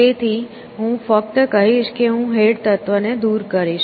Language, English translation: Gujarati, So, I will just say I will remove the head element